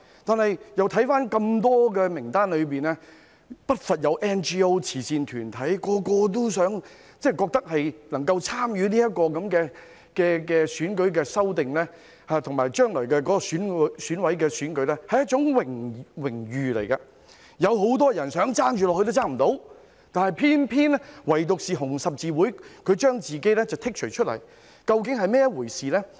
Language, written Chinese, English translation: Cantonese, 我看到名單中不乏有 NGO 及慈善團體，它們都覺得能夠參與有關選舉的修訂及將來選委會的選舉是一種榮譽，有很多人想加入也不能做到，唯獨紅十字會要求將自己剔除名單外，究竟這是甚麼一回事呢？, I see that there is no lack of NGOs and charitable organizations on the list and they all think it is an honour to be involved in the amendments relating to elections and in the future EC election . Only HKRC requested to have itself excluded from the list . Exactly what is it all about?